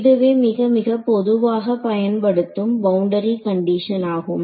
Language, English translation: Tamil, So, this is very very commonly used boundary condition ok